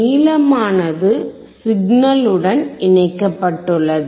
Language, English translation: Tamil, A longer one is connected to the signal